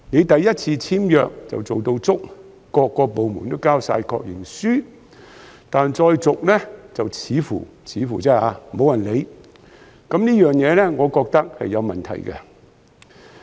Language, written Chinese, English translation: Cantonese, 首次簽約時，各個部門都做足工作，提交了確認書，但再續約時，便似乎——似乎而已——沒有人理會，我認為這情況是有問題的。, When signing the first tenancy agreement all the departments have done their job and submitted their confirmations but then at tenancy renewal it seems―I mean just seemingly―that nobody really cares . I think this is a problem